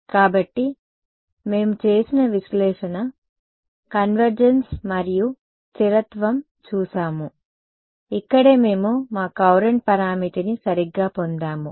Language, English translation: Telugu, So, we looked at we did analysis, convergence we did and stability this is where we got our Courant parameter right